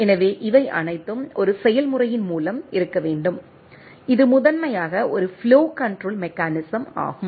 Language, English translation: Tamil, So, this all are has to be through a procedure, which is primarily a flow control mechanisms right